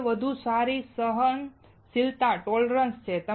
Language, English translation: Gujarati, First is that it has better tolerance